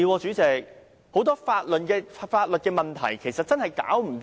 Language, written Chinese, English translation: Cantonese, 主席，很多法律問題現在尚未解決。, President many legal problems remain unresolved